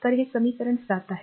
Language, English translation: Marathi, So, this is equation 7